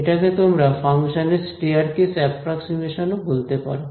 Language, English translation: Bengali, So, you can this is also called a staircase approximation of the function right